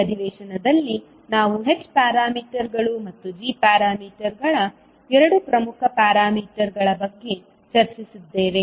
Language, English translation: Kannada, In this session we discussed about two important parameters which were h parameters and g parameters